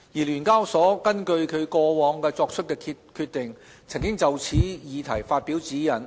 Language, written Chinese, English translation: Cantonese, 聯交所根據其過往作出的決定，曾就此議題發表指引。, With reference to its previous rulings the SEHK has issued guidelines on this issue